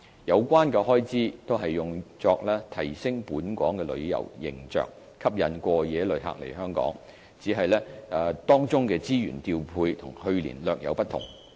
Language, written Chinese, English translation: Cantonese, 有關開支均用作提升本港旅遊形象，吸引過夜旅客來港，只是當中資源調配與去年略有不同。, The budget is used for promoting Hong Kongs tourism image and enticing overnight visitor arrivals with the deployment of resources slightly different from that of previous year